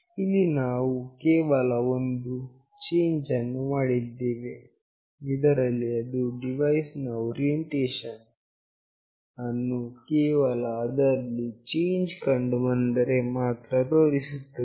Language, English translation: Kannada, Here we have just made one change, where it will display the orientation of the device only when there is a change